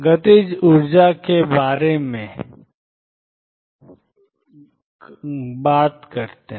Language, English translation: Hindi, How about the kinetic energy